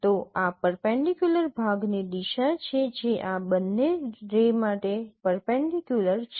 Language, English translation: Gujarati, Then this is the direction of the perpendicular segment which is perpendicular to both of these rays